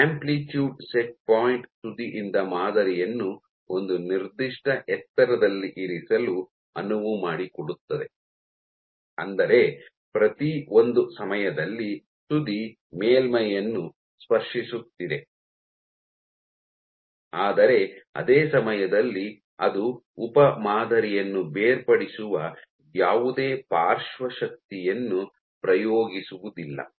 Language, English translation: Kannada, So, amplitude set point allows the tip to be positioned at a certain height from the sample such that every once in a while, the tip is touching the surface, but the same time it is not exerting any lateral force which might detach the subsample